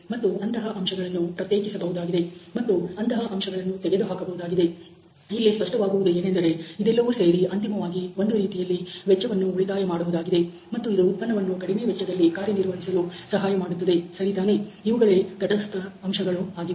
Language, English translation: Kannada, And if such factors can be isolated and such factors can be eliminated it may obviously, lead over all to some kind of cost saving you know, and can help the product to operate at the most economical level ok those are the neutral factors